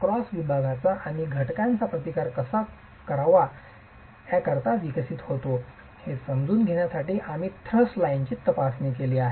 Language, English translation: Marathi, We have examined the thrust line as an understanding of how the resistance of a cross section and the component develops